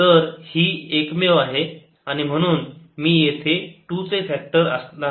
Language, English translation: Marathi, so this is only one and therefore this would be a factor of two here